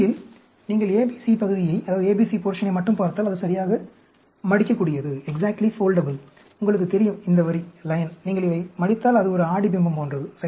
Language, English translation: Tamil, So, if you look at only the ABC portion, it is exactly foldable; you know, this line, if you fold it, it is like a, the mirror image, right